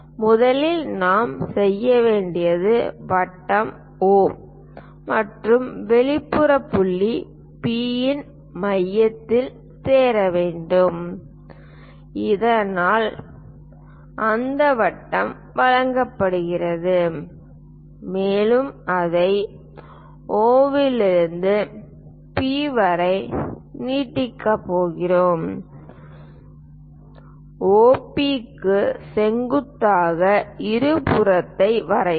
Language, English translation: Tamil, First of all what we have to do is join centre of circle O and exterior point P, so that circle is given and we are going to extend it from O to P draw a perpendicular bisector to OP